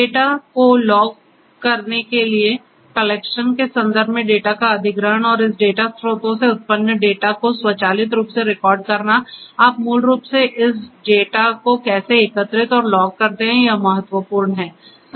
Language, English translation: Hindi, Acquisition of the data in terms of collection to you know login the data and recording the data automatically generated from this data sources and how do you basically collect and log this data that is important